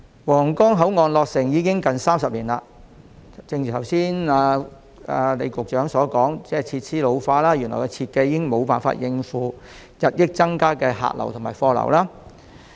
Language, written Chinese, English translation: Cantonese, 皇崗口岸落成已近30年，正如李局長剛才所說，口岸設施現已老化，原來的設計亦已無法應付日益增加的客流和貨流。, It has been almost 30 years since the commissioning of the Huanggang Port and as suggested just now by Secretary LEE its port facilities have become outdated while the original design can no longer cope with the ever - increasing passenger and cargo flows